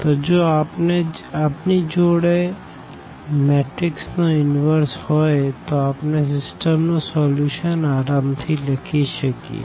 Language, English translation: Gujarati, So, if we have the inverse of a matrix we can easily write down the solution of the system